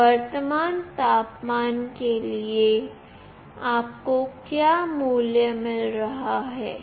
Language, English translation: Hindi, For that current temperature, what value you are getting